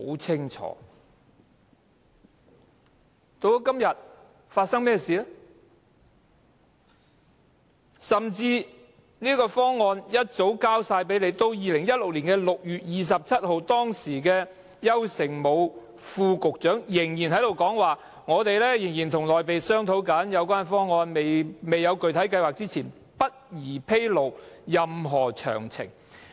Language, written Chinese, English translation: Cantonese, 這個方案甚至早已提交政府，至2016年6月27日，當時的運輸及房屋局副局長邱誠武仍表示仍在和內地商討有關方案，"在訂出任何具體計劃之前，不宜披露任何詳情"。, Although a concrete proposal had actually been passed to the Government already YAU Shing - mu the then Under Secretary for Transport and Housing told us on 27 June 2016 that they were still discussing the options of implementing a co - location arrangement with the Mainland authorities and it was inappropriate to disclose any details before any concrete plan was drawn up